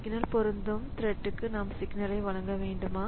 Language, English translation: Tamil, So, should we deliver signal to the thread to which this signal applies